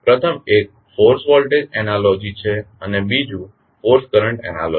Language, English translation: Gujarati, First one is force voltage analogy and second is force current analogy